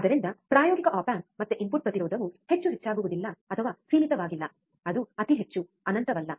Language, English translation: Kannada, So, practical op amp again input impedance would be not extremely high or not in finite, it would be extremely high, right not infinite